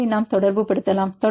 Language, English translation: Tamil, So, you can get the correlation